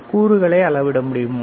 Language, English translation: Tamil, Can you measure the components